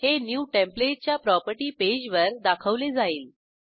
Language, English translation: Marathi, It will be displayed on the New template property page